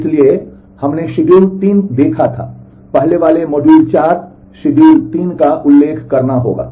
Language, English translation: Hindi, So, we had seen schedule 3, will have to refer to the earlier module 4 schedule 3